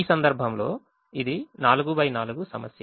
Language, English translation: Telugu, in this case it's a four by four problem